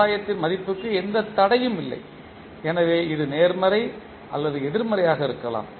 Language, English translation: Tamil, There is no restriction on the value of the gain, so it can be either positive or negative